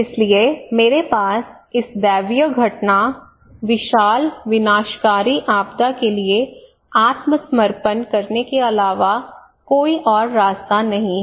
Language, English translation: Hindi, So I have no way but to surrender this gigantic its a gods act, gigantic catastrophic disaster